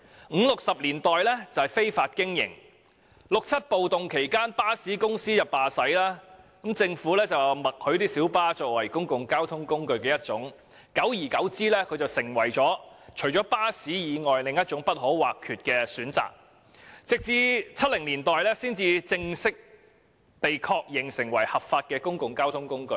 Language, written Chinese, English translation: Cantonese, 五六十年代屬於非法經營，在六七暴動期間巴士公司罷駛，政府便默許小巴作為其中一種公共交通工具，久而久之小巴成為巴士以外不可或缺的選擇，到了1970年代才正式被確認成為合法的公共交通工具。, In the 1950s and 1960s the operation of light buses was illegal . During the riot in 1967 when bus companies suspended their services the Government acquiesced to the operation of light buses as a mode of public transport and gradually light buses became an indispensable mode of transport other than buses . It was not until 1970s that light buses had formally been accepted as a legal means of public transport